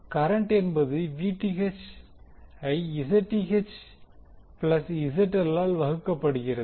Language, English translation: Tamil, Current is nothing but Vth divided by the Zth plus ZL